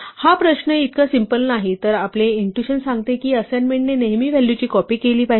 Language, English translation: Marathi, This question actually is not so simple while our intuition says that assignment should always copy the value